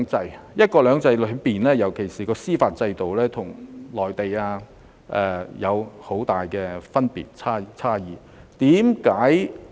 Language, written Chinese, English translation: Cantonese, 在"一國兩制"下，尤其在司法制度方面，香港與內地有很大差異。, Under one country two systems there are huge differences between Hong Kong and the Mainland especially in terms of judicial system